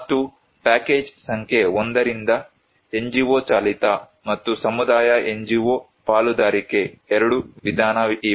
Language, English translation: Kannada, And from package number 1, there are 2 that are NGO driven and community NGO partnership approach